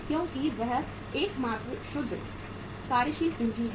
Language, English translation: Hindi, Because that is the only net working capital